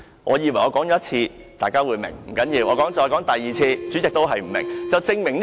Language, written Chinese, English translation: Cantonese, 我以為我說一次，大家便會明白；不要緊，但我說第二次後，主席仍不明白。, I thought Members would understand it after I said it once; never mind but after I said it for the second time the President still did not get it